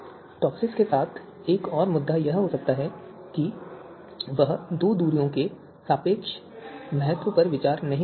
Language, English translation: Hindi, So another you know another you know issue with TOPSIS could be that it does not consider the relative importance of these two distances